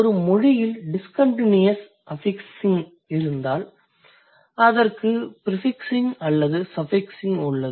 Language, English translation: Tamil, And if a language has discontinuous suffixing, it also has either prefixing or suffixing